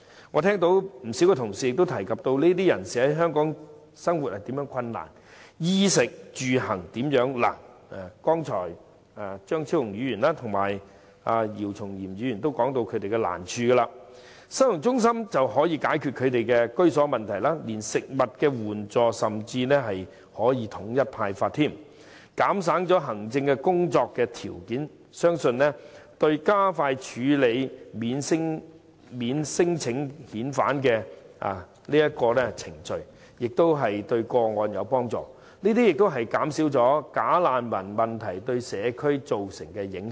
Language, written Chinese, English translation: Cantonese, 我聽到不少同事曾提及這些人士在香港的生活及衣食住行方面如何困難——張超雄議員及姚松炎議員均提及他們的難處——收容中心可解決他們的居住問題，甚至連帶食物援助亦可統一派發，減省行政工作之餘，相信對加快處理免遣返聲請的個案亦有幫助，這亦可以減少"假難民"問題對社區造成的影響。, I heard that many colleagues have mentioned the difficulties related to different aspects of the claimants daily living in Hong Kong Dr Fernando CHEUNG and Dr YIU Chung - yim has mentioned such difficulties . However the holding centre can address their housing problem . It may even help the Government to provide food assistance in a uniform way